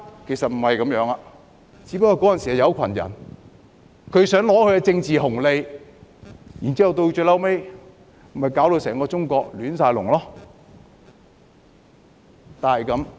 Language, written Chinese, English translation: Cantonese, 其實不是這樣的，只是當時有一群人想得到政治紅利，最後將整個中國攪到"亂晒大籠"。, Actually this is not true . It was only because a group of people wanted to acquire a political bonus at that time and China was eventually plunged into great turmoil